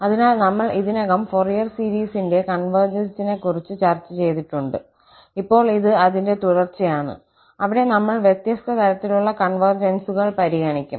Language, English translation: Malayalam, So, we have already discussed the convergence of Fourier series and now this is a continuation of that lecture, where we will consider different kind of convergences